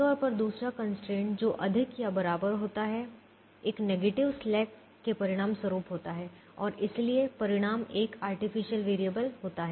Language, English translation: Hindi, ordinarily the, the second constraint, which had the greater than or equal to, would have resulted in a negative slack and therefore you would would have resulted in a artificial variable